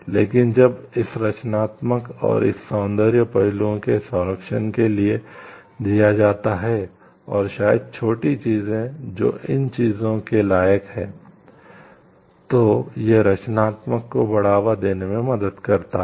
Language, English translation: Hindi, But, when given for this protection of this creativity and these aesthetic aspects and maybe the minor things which increases the worth of these things, then it helps to promote creativity further